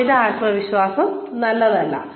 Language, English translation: Malayalam, Overconfidence is not good